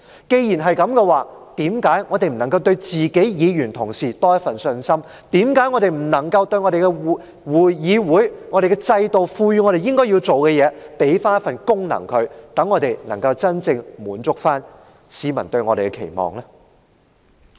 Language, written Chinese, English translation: Cantonese, 既然如此，為何我們不對議員同事多點信心，為何我們不履行議會、制度賦予我們應有的責任和功能，以滿足市民對我們的期望呢？, As such why do we not have more confidence in our Honourable colleagues? . Why do we not discharge the due duties and functions conferred on us by the Council and the system in order to live up to public expectations?